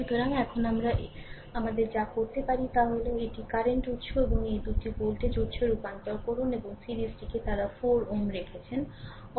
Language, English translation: Bengali, So, now, what we have what we have what you can do is this current this current source and these two, you convert to a convert it to a voltage source and series they put 4 ohm in series right